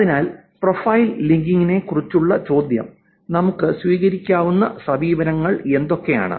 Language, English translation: Malayalam, So the question about profile linking, what are the approaches that we can take